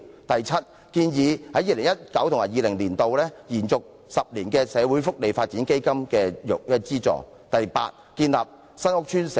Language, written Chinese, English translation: Cantonese, 第七，我們建議在 2019-2020 年度把社會福利發展基金的資助延續為10年。, Seventh we propose extending the funding for the Social Welfare Development Fund to 10 years in 2019 - 2020